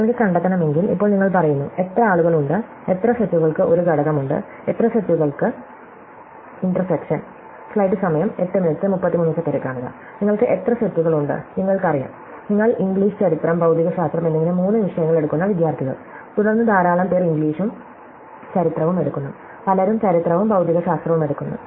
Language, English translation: Malayalam, If you want to find out, now you say, how many people are, how many sets have one element, how many sets are in the intersection, how many sets you have, you know, you are, students taking three subjects, English, history and physics, and then so many taking English and history, so many taking history and physics and so on